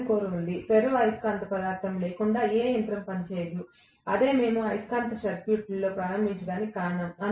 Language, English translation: Telugu, There is iron core of course no machine will work without ferromagnetic material that is the reason we started off with magnetic circuits